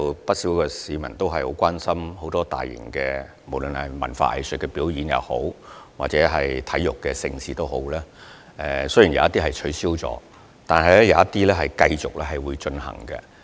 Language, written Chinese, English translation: Cantonese, 不少市民對大型文化、藝術表演及體育盛事表示關注，雖然有部分活動已取消，但仍有部分會繼續進行。, Quite a number of people have expressed concerns about various large - scale cultural and arts performances and sports events . While some of these events have been cancelled some others will be held as scheduled